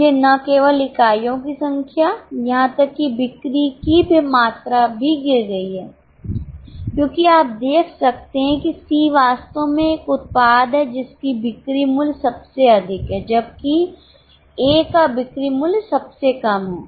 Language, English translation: Hindi, So, not only units, even the amount of sales have fallen because you can see that C is actually a product having highest sales value, whereas A is having the lowest sales value